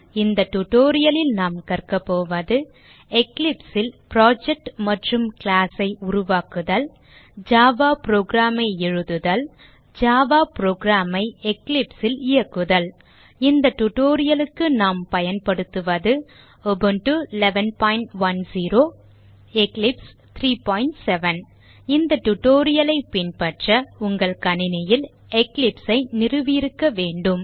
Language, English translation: Tamil, In this tutorial we are going to learn How to Create a project and add a class in Eclipse How to write java program and How to run a java program in Eclipse For this tutorial we are using: Ubuntu 11.10, Eclipse 3.7 To follow this tutorial you must have Eclipse installed on your system